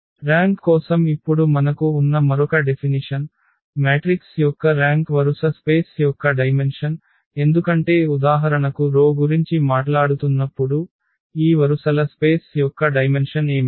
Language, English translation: Telugu, And the another definition which we have now for the rank, the rank of the matrix is the dimension of the row space because when we are talking about the rows for instance, so what will be the dimension of these rows space